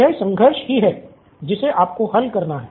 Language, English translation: Hindi, This is the conflict that you have to resolve